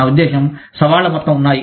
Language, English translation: Telugu, I mean, there are whole bunch of challenges